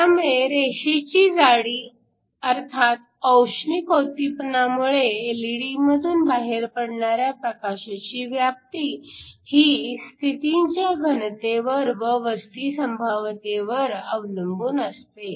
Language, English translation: Marathi, So, the line width which is the spread of the light that comes out from the LED because of thermal excitation it depends upon the density of states and the probability of occupation